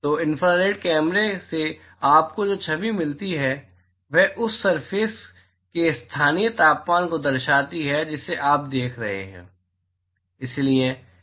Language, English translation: Hindi, So, the image that you get from an infrared camera reflects the local temperature of that surface that you are looking at